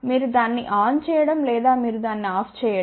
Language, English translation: Telugu, You just switch it on or you switch it off ok